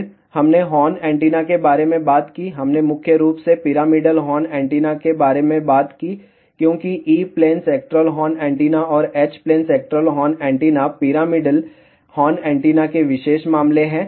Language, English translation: Hindi, Then, we talked about horn antenna, we talked mainly about pyramidal horn antenna as E plane sectoral horn antenna, and H plane sectoral horn antenna are special cases of pyramidal horn antenna